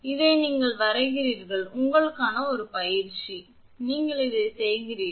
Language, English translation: Tamil, 834, this you draw and this is an exercise for you and you do this